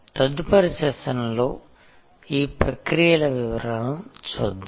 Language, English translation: Telugu, We will see details of these processes in the next session